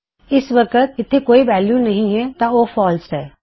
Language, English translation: Punjabi, At the moment there is no value so it is false